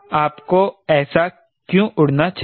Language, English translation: Hindi, why should you fly like that